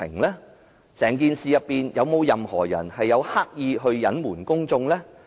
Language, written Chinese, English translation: Cantonese, 在整件事中，有沒有任何人刻意隱瞞公眾？, Has anyone purposely concealed the information from the public?